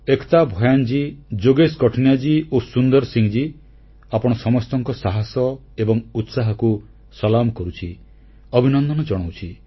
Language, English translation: Odia, I salute Ekta Bhyanji, Yogesh Qathuniaji and Sundar Singh Ji, all of you for your fortitude and passion, and congratulate you